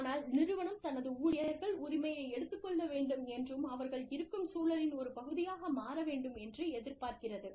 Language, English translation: Tamil, The organization expects its employees, to take ownership, and become a part of the milieu, that they are a part of